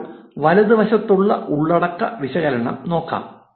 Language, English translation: Malayalam, Now, lets look at the content analysis on the right